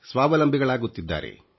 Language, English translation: Kannada, It is becoming self reliant